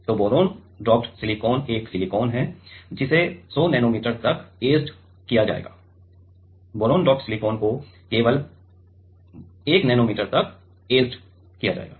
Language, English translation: Hindi, So, boron doped silicon is a silicon will be etched to 100 nanometer, boron doped silicon will be etched to only 1 nanometer